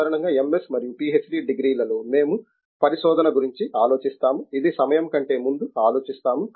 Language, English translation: Telugu, Generally in MS and PhD degrees, we tend to think of research which is, you know significantly ahead of it is time